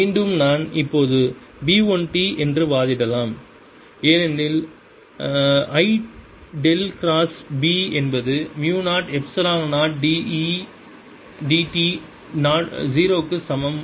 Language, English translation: Tamil, again, i can now argue that b one t, because i have dell cross b is equal to mu zero, epsilon zero d, e zero d t